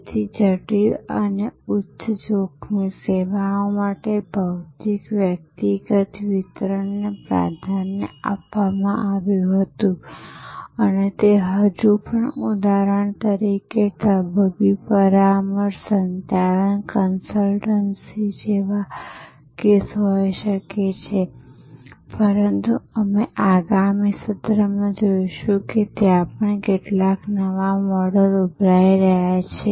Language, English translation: Gujarati, So, for complex and high risk services, physical personal delivery was preferred and that may still be the case like for example, medical consultation, management consultancy, but we will see in the next session how even there some very, very new models are emerging